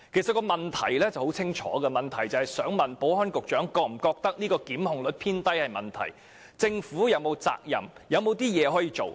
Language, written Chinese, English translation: Cantonese, 這項主體質詢十分清晰，就是問局長是否認為檢控率偏低存在問題，以及政府是否有責任和還有些甚麼可以做？, This main question is very clear the Secretary was asked if it was a problem for the low prosecution rates and whether the Government should be held responsible for this or what other measures could be taken